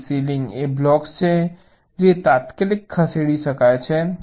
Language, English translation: Gujarati, so ceiling is the blocks which can be moved immediately